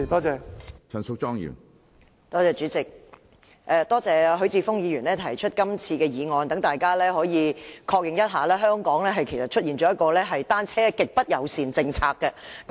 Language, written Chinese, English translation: Cantonese, 主席，多謝許智峯議員提出今次的議案，讓大家確認一下，香港其實出現了"單車極不友善政策"。, President I thank Mr HUI Chi - fung for proposing this motion which confirms that there is actually a bicycle - unfriendly policy in Hong Kong